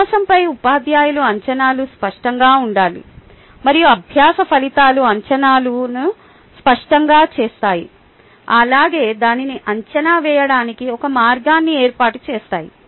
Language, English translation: Telugu, ah, teachers expectations on learning should be explicit and learning outcomes make expectations explicit as well as establish a means to assess it